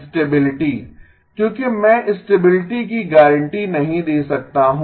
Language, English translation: Hindi, Stability because I am not guaranteed stability